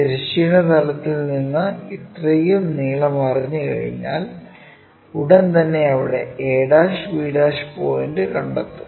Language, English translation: Malayalam, Once we know from the horizontal plane this much length, immediately we will locate a' and b' point there